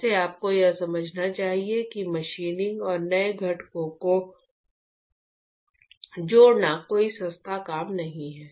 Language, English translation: Hindi, By the way, you must understand that machining and adding new components is not a cheap task